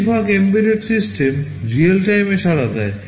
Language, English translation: Bengali, Most embedded systems respond in real time